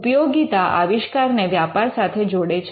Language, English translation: Gujarati, Utility connects the invention to the to business